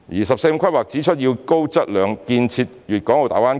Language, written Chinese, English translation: Cantonese, "十四五"規劃指出要高質量建設粵港澳大灣區。, The National 14 Five - Year Plan mentioned the development of a high - quality Guangdong - Hong Kong - Macao Greater Bay Area